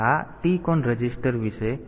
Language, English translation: Gujarati, So, this is about the TCON register